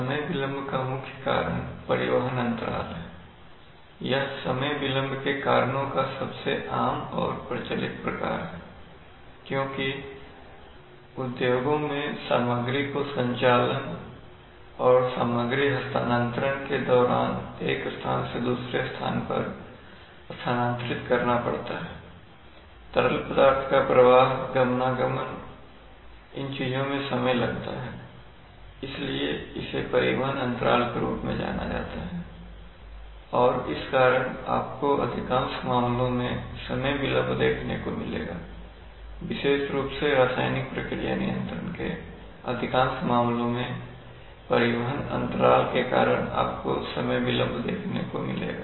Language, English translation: Hindi, The main cause of time delay is transportation lag, this is the most common and prevalent type of cause for time delay because in the industry, material has to be transferred from place to place in the course of operation and material transfer, flow of liquids, movements, these things take time so there is this is the this is called what is known as transportation lag and is causes you know the majority of the cases where time delay is seen especially in process control, chemical process control the majority of the cases is due to this transportation lag